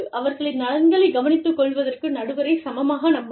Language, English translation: Tamil, Trust the arbitrator, equally, to take care of their interests